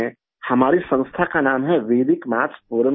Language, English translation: Hindi, The name of our organization is Vedic Maths Forum India